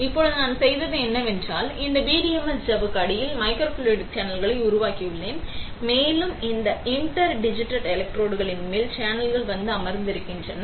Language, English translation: Tamil, Now, what we have done is, we have made microfluidic channels underneath this PDMS membrane and the channels are coming and sitting on top of this interdigitated electrodes